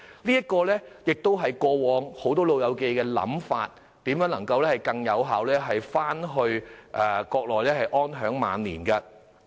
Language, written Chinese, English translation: Cantonese, 這也是大部分長者過往的想法，希望能更加有效地返回國內安享晚年。, This is also the hope of many elderly persons who have previously indicated their wish to make more effective arrangements for enjoying their twilight years on the Mainland